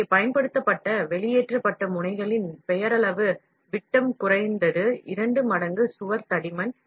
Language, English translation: Tamil, So, the wall thickness that are at least twice the nominal diameter of the extruded nozzle used